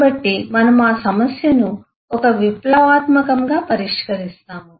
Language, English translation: Telugu, so we will solve that problem with a revolutionary solution